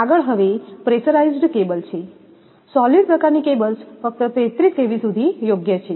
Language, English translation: Gujarati, Next, is pressurized cables; solid type cables are suitable only up to 33kV